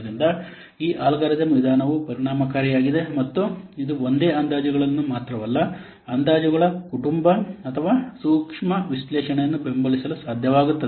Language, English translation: Kannada, So, this algorithm method, it is efficient and it is able to support not only single estimations but a family of estimations or a sensitive analysis